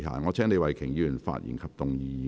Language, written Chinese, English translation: Cantonese, 我請李慧琼議員發言及動議議案。, I call upon Ms Starry LEE to speak and move the motion